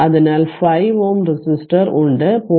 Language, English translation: Malayalam, So, 5 ohm resistor is there, 0